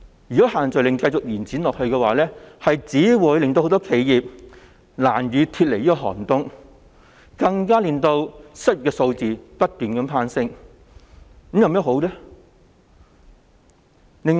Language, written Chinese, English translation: Cantonese, 如果限聚令繼續延長下去，只會令很多企業難以脫離寒冬，更會令失業率不斷攀升。, If the social gathering restriction is further extended it will only make it difficult for many enterprises to get out of their plight and will even lead to an ever - increasing unemployment rate